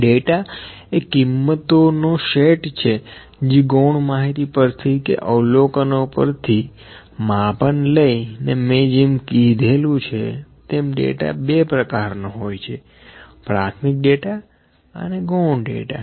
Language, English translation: Gujarati, Data is the set of values those are collected by some measurement by some observation or maybe by from the secondary information as I have discussed that the two kinds of data, primary data, and secondary data